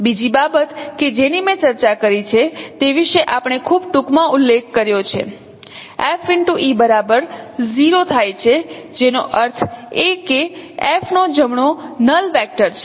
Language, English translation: Gujarati, The other thing what we have discussed just we made a very brief mention about that that F e equals 0 which means E is the right null vector of F